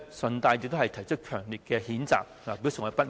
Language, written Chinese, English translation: Cantonese, 我在此順帶提出強烈譴責，以表示我的不滿。, I would also like to voice my strong condemnation and express my discontent here